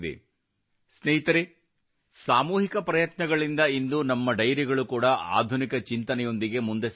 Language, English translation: Kannada, Friends, with collective efforts today, our dairies are also moving forward with modern thinking